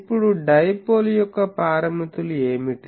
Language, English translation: Telugu, Now what are the parameters of the dipole